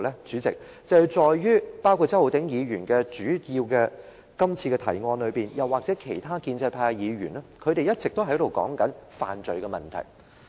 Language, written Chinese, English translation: Cantonese, 主席，是在周浩鼎議員原議案提出或其他建制派議員一直說的犯罪問題上。, President it lies in the issue of crime mentioned by Mr Holden CHOW in his original motion or frequently by other Members in the pro - establishment camp